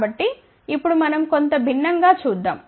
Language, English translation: Telugu, So, now let us see something different